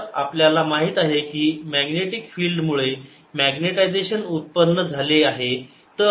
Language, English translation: Marathi, so we know that magnetization is produced because of the magnetic field